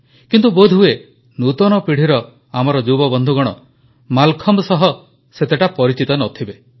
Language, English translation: Odia, However, probably our young friends of the new generation are not that acquainted with Mallakhambh